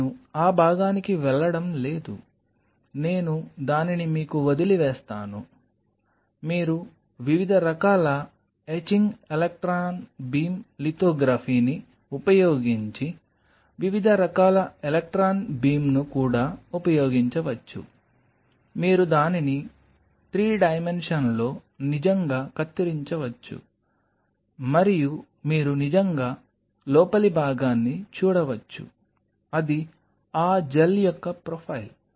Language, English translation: Telugu, So, I am not getting to that part there, I will leave it to your you can even use different kind of electron beam using different kind of etching electron beam lithography you really can cut across it in 3 dimension and you can really see the interior profile of it, of that gel I did using different kind of electronic beam lithography